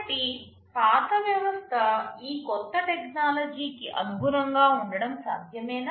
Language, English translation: Telugu, So, is it possible for the older system to adapt to this new technology